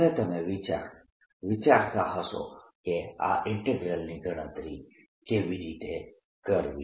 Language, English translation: Gujarati, alright, now you must be wondering how to calculate this integral